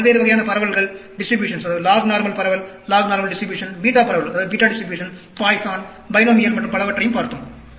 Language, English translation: Tamil, We also looked at different types of distributions, log normal distribution, beta distribution, Poisson, binomial and so on